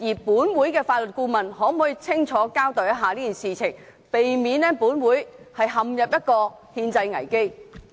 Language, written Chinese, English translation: Cantonese, 本會的法律顧問可否清楚交代此事，避免本會陷入憲制危機？, Can the Legal Adviser of the Legislative Council give a clear account of this matter to prevent this Council from falling into a constitutional crisis?